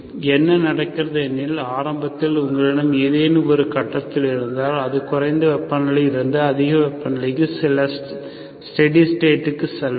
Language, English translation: Tamil, So what happens is, whatever initially what you have at some point, it may be high temperature to a temperature just some steady state